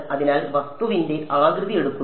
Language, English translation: Malayalam, So, takes the shape of the object